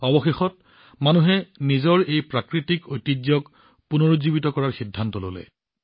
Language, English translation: Assamese, Eventually, people decided to revive this natural heritage of theirs